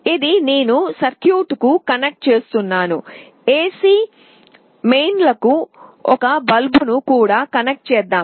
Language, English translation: Telugu, This I am connecting to a circuit, let us say a bulb to the AC mains